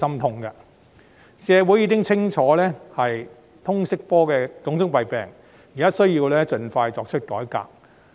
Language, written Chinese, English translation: Cantonese, 既然社會人士清楚了解通識科的種種弊病，便應盡快作出改革。, Now that the community has seen clearly the shortcomings of the LS subject a reform should thus be carried out as soon as possible